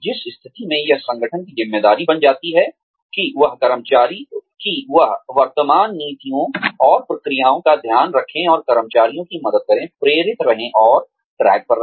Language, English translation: Hindi, In which case, it becomes the responsibility of the organization, to take care of the current policies and procedures, and help the employees, stay motivated and on track